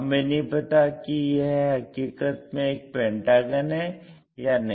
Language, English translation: Hindi, We do not know whether it is a true pentagon or not